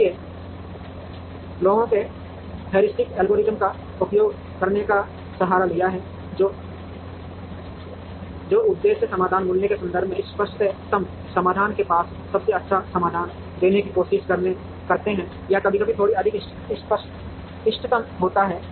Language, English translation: Hindi, So, people have resorted to using heuristic algorithms which try to give the best solution, a near optimal solution or sometimes slightly more than the optimal in terms of objective function value